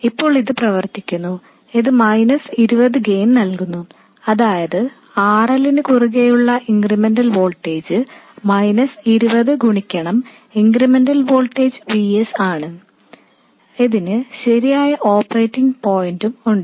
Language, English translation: Malayalam, Now this works, it gives a gain of minus 20, that is the incremental voltage across RL will be minus 20 times the incremental voltage VS and it has the right operating point and so on